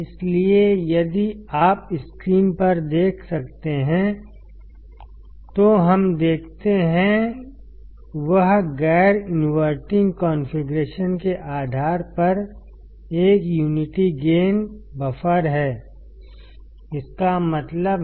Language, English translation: Hindi, So, if you can see on the screen; what we see is a unity gain buffer based on the non inverting configuration; what does that mean